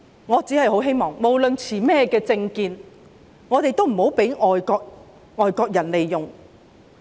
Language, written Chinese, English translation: Cantonese, 我只是希望不論我們的政見為何，也不要被外國人利用。, I merely hope that irrespective of our political views we should avoid being exploited by foreigners